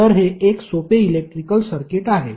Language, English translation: Marathi, So, it is like a simple electrical circuit